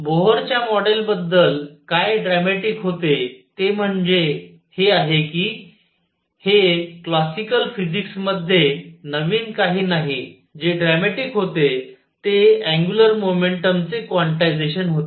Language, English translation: Marathi, What was dramatic about Bohr’s model this is this is classical physics nothing new what is dramatic was the quantization of angular momentum